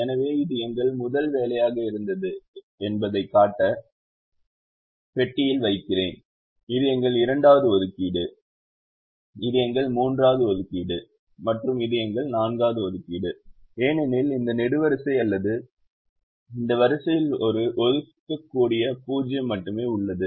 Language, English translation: Tamil, so i am just putting it into the box to show this was our first assignment, this is our second assignment, this is our third assignment and this is our fourth assignment because this column or this row has only one assignable zero